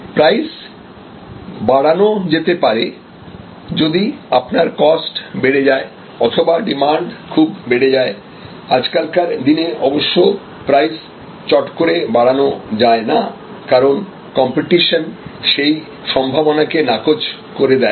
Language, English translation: Bengali, Price increase can be done due to a cost inflation or over demand, these days of course, price increase can be very seldom deployed, because the competition intensity almost a negates the possibility